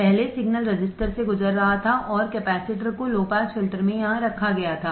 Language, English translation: Hindi, Earlier the signal was passing through the resistor, and the capacitor was placed here in the low pass filter